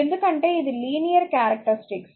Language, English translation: Telugu, Because it is a linear characteristic